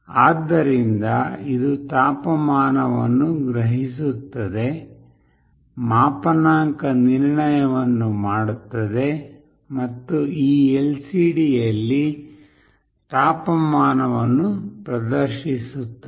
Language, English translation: Kannada, So, it will sense the temperature, do the calibration and display the temperature in this LCD